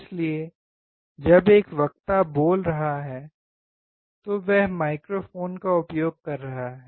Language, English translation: Hindi, So when a speaker is speaking, he is using microphone